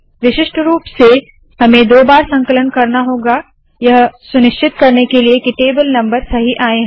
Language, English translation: Hindi, Typically one would have to compile twice to make sure the table number comes correct